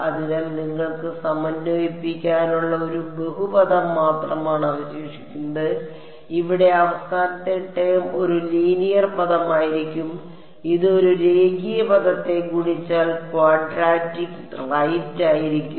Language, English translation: Malayalam, So, all you are left with is a polynomial to integrate, over here for the last term will be a linear term this is a linear term multiplied by this will be quadratic right